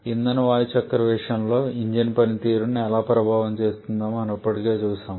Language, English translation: Telugu, As we have already seen in case of fuel air cycle how that can affect the engine performance